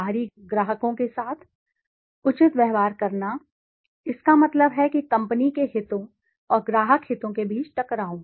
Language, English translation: Hindi, Treating outside clients fairly, that means conflict between company interests and outside client interests